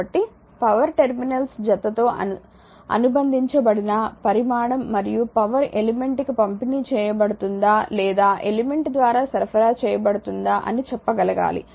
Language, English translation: Telugu, Therefore, power is a quantity associated with the pair of terminals and we have to be able to tell from our calculation whether power is being delivered to the element or supplied by the element